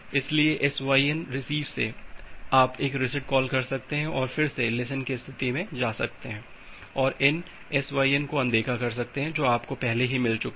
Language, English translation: Hindi, So, from the SYN receive you can call a reset call and again move to the listen state and ignore these SYN you have already received